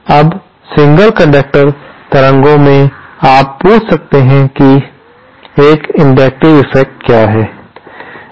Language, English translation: Hindi, Now, in single conductor waveguides, you might ask me what is an inductive effect